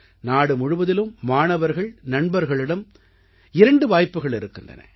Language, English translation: Tamil, Student friends across the country have two opportunities